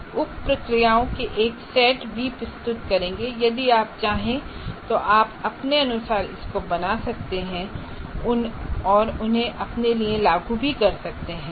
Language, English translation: Hindi, As I said, we'll propose a set of sub processes if you wish you can create your own variations of that and implement it for yourself